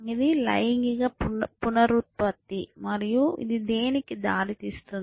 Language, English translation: Telugu, It is of sexual reproduction and what is it lead to it